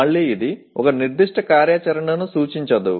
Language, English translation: Telugu, Again, it does not represent a specific activity